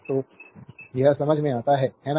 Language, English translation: Hindi, So, it is understandable to you, right